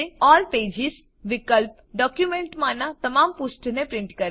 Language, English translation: Gujarati, All pages option prints all the pages in the document